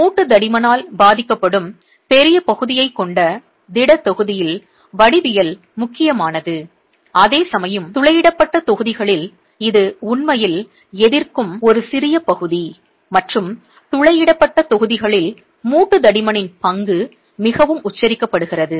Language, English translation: Tamil, In the solid block you have larger area that is getting affected by the joint thickness whereas in the perforated blocks it is a smaller area that is actually resisting and the role of the joint thickness is much more pronounced in the perforated blocks